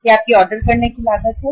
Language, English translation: Hindi, This is your ordering cost